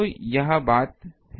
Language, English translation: Hindi, So, this is the point